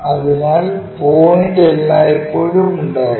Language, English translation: Malayalam, So, point always be there